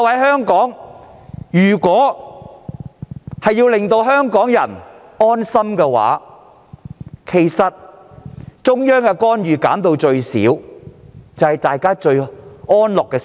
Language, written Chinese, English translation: Cantonese, 他們明白，要令香港人安心，中央的干預必須減至最少。, They understand that the intervention of the Central Authorities must be minimized to make Hong Kong people feel at ease